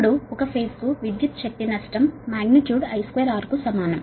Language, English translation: Telugu, now, power, power loss per phase is equal to magnitude i square r